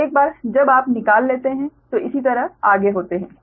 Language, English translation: Hindi, so once you, similarly, this is straight forward